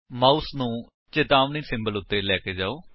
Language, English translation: Punjabi, Hover your mouse over the warning symbol